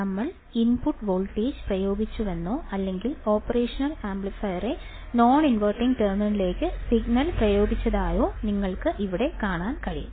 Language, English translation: Malayalam, Here, what is the case, the case is that we have applied the input voltage or we applied the signal to the non inverting terminal of the operational amplifier as you can see here right